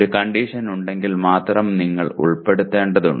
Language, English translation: Malayalam, If there is a condition then only, then you need to include